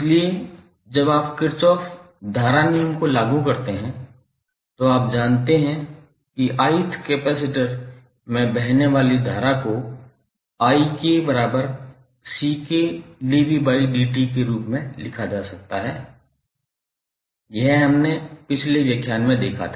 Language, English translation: Hindi, So when you apply Kirchhoff current law, you know that the current flowing in the ith capacitor can be written as ik is equal to ck dv by dt